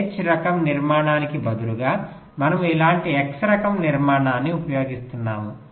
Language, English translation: Telugu, same thing: instead of the x type structure, we are using an x type structure like this